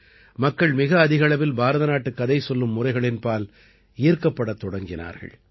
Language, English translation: Tamil, People started getting attracted towards the Indian storytelling genre, more and more